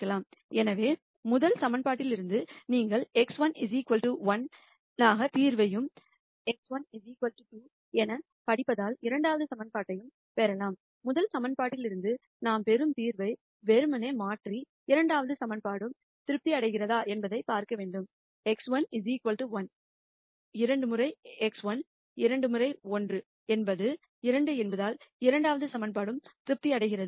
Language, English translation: Tamil, So, from the first equation you can get a solution for x 1 equal to 1 and the second equation since it reads as 2 x 1 equal to 2, we have to simply substitute the solution that we get from the first equation and see whether the second equation is also satisfied since x 1 equal to 1 2 times x 1 2 times 1 is 2 the second equation is also satisfied